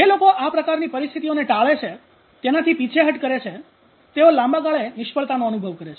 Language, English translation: Gujarati, So people those who avoid withdraw from these kinds of situations are likely to experience failure in the long run